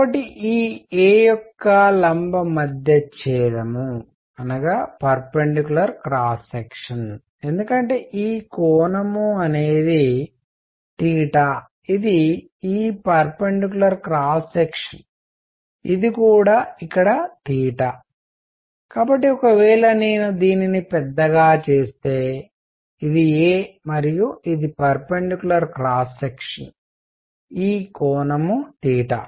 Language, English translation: Telugu, So, the perpendicular cross section of this a, because this angle is theta is this perpendicular cross section this is also theta out here, so if I make it bigger this is a and this is the perpendicular cross section this angle is theta